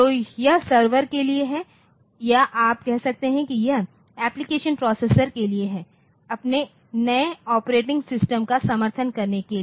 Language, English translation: Hindi, So, this is these are for the server or you can say it is for the application processors so, for supporting their new operating systems and all that